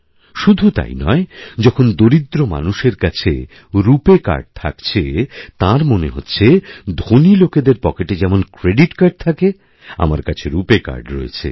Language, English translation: Bengali, Not just this, when a poor person sees a RuPay Card, in his pocket, he finds himself to be equal to the privileged that if they have a credit card in their pockets, I too have a RuPay Card in mind